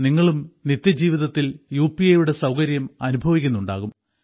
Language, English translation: Malayalam, You must also feel the convenience of UPI in everyday life